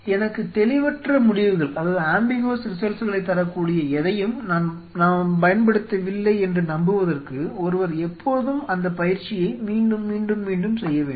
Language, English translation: Tamil, One has to always go through that exercise time and again time and again to figure out, that hope I am not using something which is which will give me ambiguous results